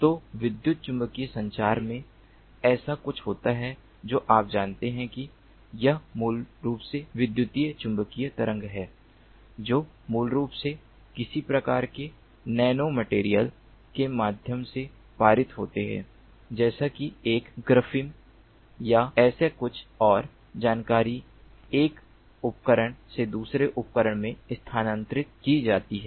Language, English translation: Hindi, you know, it is basically electromagnetic waves that basically are passed through some kind of nano material like a graphene or something like that, and the information is transferred from one device to another device